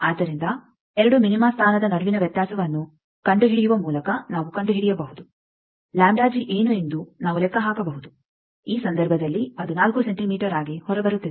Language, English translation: Kannada, So, we can find out by finding the difference between 2 minima position we can calculate what is the lambda g in this case it is coming out to be 4 centimeter